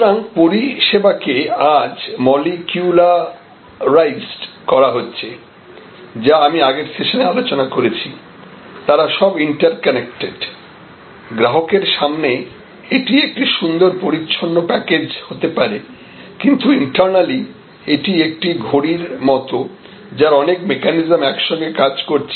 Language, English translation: Bengali, So, services today therefore, are getting molecularized which I mentioned in the previous session and they are getting all interconnected to the consumer in front they may be a lovely neat package, but internally it is just like a watch internally has many mechanisms all working together